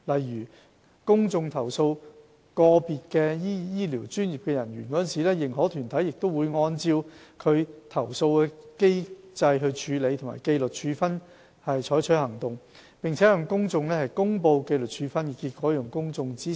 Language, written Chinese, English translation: Cantonese, 如公眾投訴個別醫療專業人員，認可團體會按照其投訴處理及紀律處分機制採取行動，並向公眾公布紀律處分結果，讓公眾知悉。, If the public make complaints against individual health care professionals the accredited bodies will take action according to their complaints handling and disciplinary inquiry mechanisms and make public the outcomes of the disciplinary actions